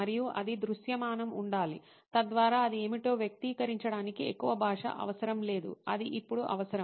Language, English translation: Telugu, And it should be visual, so that it does not require a lot of language to express what it is, is something that is the need of the hour